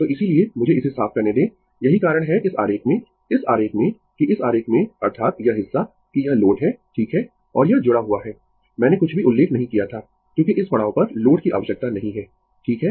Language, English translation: Hindi, So, that is why just let me clear it, that is why your in this diagram in this diagram; that in this diagram that is this part that this is the load right and this is connected, I did not mention anything because at this stage load not required right